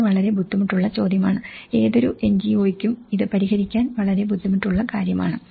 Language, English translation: Malayalam, This is very difficult question; this is very difficult task for any NGO to address it